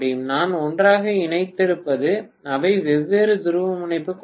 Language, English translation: Tamil, That is whatever I have connected together they are of different polarity